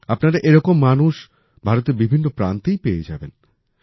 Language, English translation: Bengali, You will find such people in every part of India